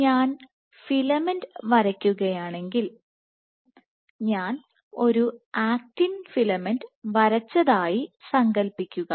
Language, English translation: Malayalam, So, if I were to draw filament, imagine I have drawn an actin filament